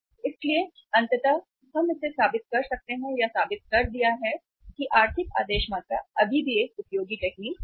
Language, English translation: Hindi, So ultimately we can prove it or it has been proven say it has it has been proved in the literature that economic order quantity is still a useful technique